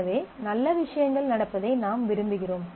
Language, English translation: Tamil, So, you want that well things are happening